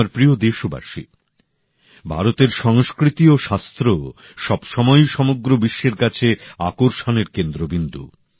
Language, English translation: Bengali, India's culture and Shaastras, knowledge has always been a centre of attraction for the entire world